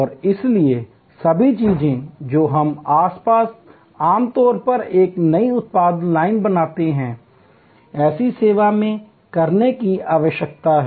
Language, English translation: Hindi, And therefore, all the things that we normally do in creating a new production line, will need to be done in such a service